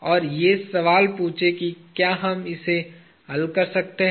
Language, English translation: Hindi, And, this; and ask the question can we solve it